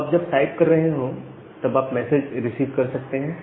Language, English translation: Hindi, So, you can receive a message while you are doing the typing